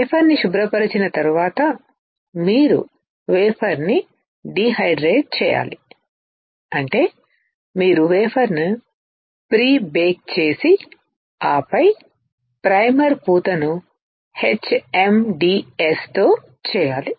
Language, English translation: Telugu, After wafer cleaning you have to dehydrate the wafer; which means that you have to prebake the wafer and then do the primer coating with HMDS